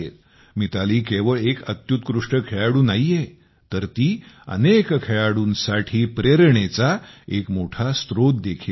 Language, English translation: Marathi, Mithali has not only been an extraordinary player, but has also been an inspiration to many players